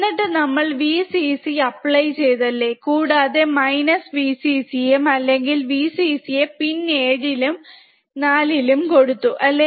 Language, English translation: Malayalam, Then we have applied plus Vcc, right and minus Vcc or Vee to the pin number 7 and 4, right